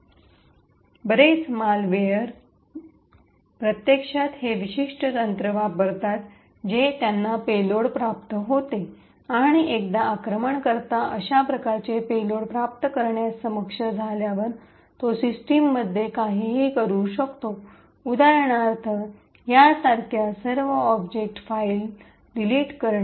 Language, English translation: Marathi, So many of the malware actually use this particular technique they obtain a payload and once an attacker is able to obtain such a payload, he can do anything in the system like example delete all the object files like this and so on